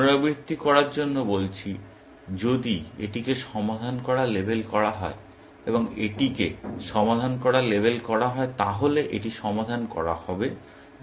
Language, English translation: Bengali, Just to repeat, if this was to be labeled solved, and this was to be labeled solved, then this will get labeled solved